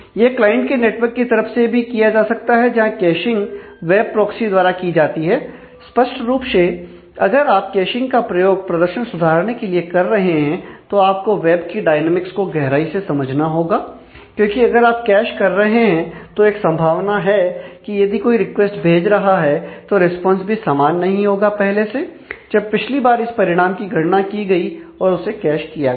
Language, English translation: Hindi, It can be done at the clients network side also by caching pages by web proxy; obviously, if you are using caching to improve performance, you will have to understand lot more of the web dynamics in depth because, certainly if you cache then there is a possibility, that somebody is asking is sending a request for which, the response would not be the same as what it was, when the last time the response was computed and cached